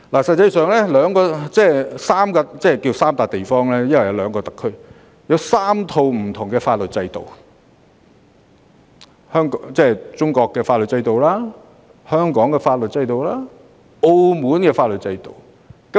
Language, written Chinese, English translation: Cantonese, 實際上，大灣區包含3個關稅區、兩個特區及3套不同的法律制度：中國內地、香港和澳門的法律制度。, In reality GBA comprises three customs territories two SARs and three different legal systems those of Mainland of China Hong Kong and Macao